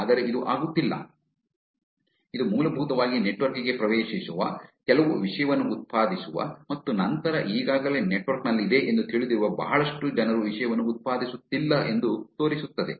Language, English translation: Kannada, But it is not, this basically shows that that are lot of people who are getting into the network, generating some content and then lot of people, who are known to be already in the network are not generating the content